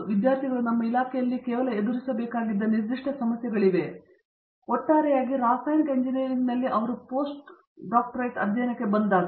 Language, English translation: Kannada, Are there specific issues that students tend to face not just in our department, but in generally in chemical engineering as a whole, when they come in for post graduate studies